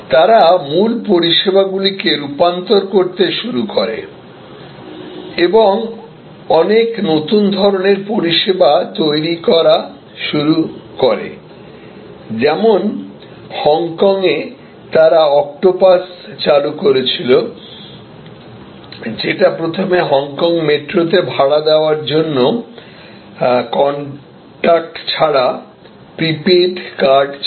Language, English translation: Bengali, They started transforming original services and creating many new types of services, for example in Hong Kong, they introduced octopus, which was initially a contact less prepaid card for paying the fare on Hong Kong metro